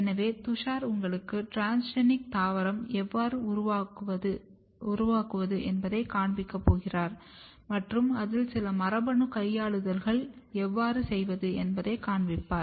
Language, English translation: Tamil, So, Tushar is also going to show you or demonstrate you how to make transgenic plant and how to do some genetic manipulation in it